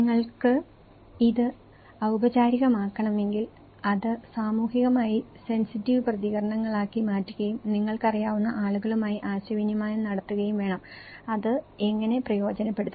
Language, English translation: Malayalam, And when if you want to make it formal, you have to make it a socially sensitive responses and you have to communicate it to the people you know, how it can benefit